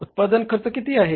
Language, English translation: Marathi, Cost of production is how much